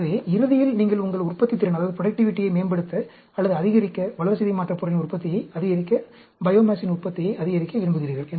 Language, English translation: Tamil, So, ultimately, you want to optimize, or maximize your productivity, maximize the yield of the metabolite, maximize the yield of biomass